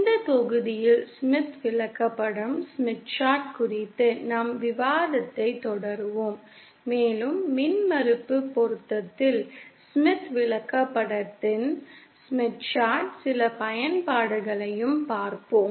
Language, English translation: Tamil, In this module, we will continue our discussion on the Smith Chart and also see some applications of the Smith Chart in impedance matching